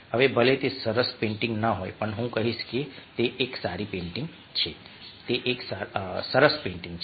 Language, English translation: Gujarati, now, even if its not a nice painting, i will say that its a good painting